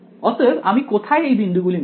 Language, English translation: Bengali, So, where can I choose these points